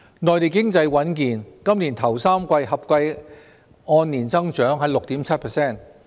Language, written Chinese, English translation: Cantonese, 內地經濟穩健，今年首3季合計按年增長 6.7%。, The Mainland economy performed soundly with a total year - on - year growth of 6.7 % in the first three quarters of this year